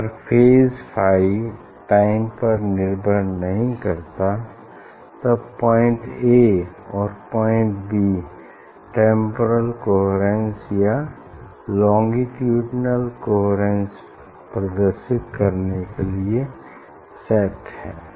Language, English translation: Hindi, If phi is independent of time, then point A and point B are set to exhibit temporal coherence or longitudinal coherence